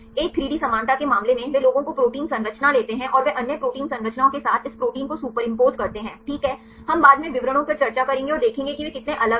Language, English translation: Hindi, In the case of a 3D similarity, they take ones protein structure and they superimpose this protein with the other protein structures right we will discuss the details later and see how far they are different